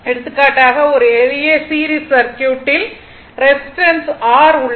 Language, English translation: Tamil, For example, a simple series circuit is there where resistance R